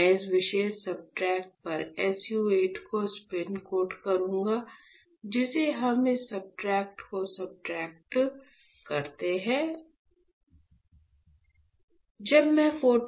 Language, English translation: Hindi, So, I will spin coat SU 8 on to this particular substrate, which we substrate this substrate, this one alright